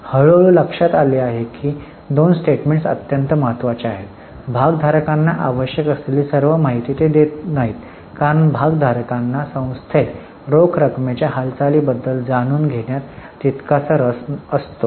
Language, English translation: Marathi, Gradually it was realized that these two statements though are very important they do not give all the information which is required by the stakeholders because stakeholders are equally interested in knowing about the movement of cash in the entity